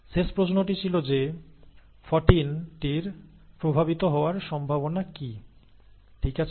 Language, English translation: Bengali, The last question was that what is the probability that 14 is affected, okay